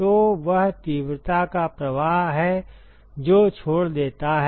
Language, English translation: Hindi, So, that is the flux of intensity that leaves